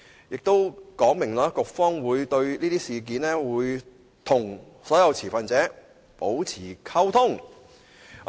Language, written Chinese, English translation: Cantonese, "當中亦說明局方會就此事宜與所有持份者保持溝通。, It also states that the authorities will maintain liaison with all stakeholders on this matter